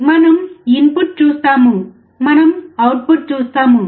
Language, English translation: Telugu, We see input; we see output